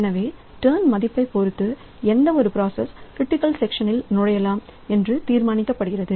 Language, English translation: Tamil, So, it will decide whatever be the value of turn that particular process will be allowed to enter into the critical section